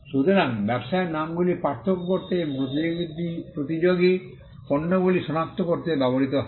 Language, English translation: Bengali, So, trade names are used to distinguish and to identify competing products